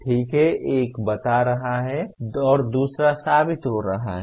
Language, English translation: Hindi, Okay, one is stating and the second one is proving